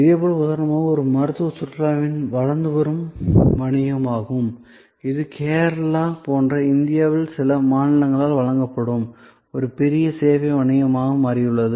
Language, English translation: Tamil, Similarly, for example, this is the growing business of medical tourism, this is become a major service business offered by certain states in India like Kerala